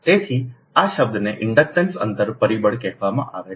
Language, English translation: Gujarati, so this term is called inductance spacing factor